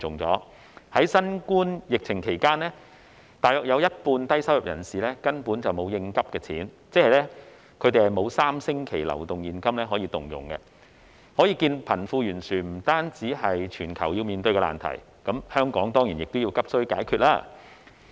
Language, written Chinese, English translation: Cantonese, 在新冠疫情期間，大約有一半的低收入人士根本沒有應急錢，即他們沒有3星期的流動現金可動用，可見貧富懸殊不單是全球要面對的難題，亦當然是香港急需解決的事宜。, In the run - up to the COVID - 19 epidemic about half of low - income individuals lacked emergency savings ie . they had less than three weeks cash flow showing that the disparity between the rich and the poor is not just a difficult problem faced by the whole world but an issue that needs to be addressed urgently in Hong Kong as well